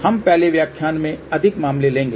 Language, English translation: Hindi, We will take more cases in the next lecture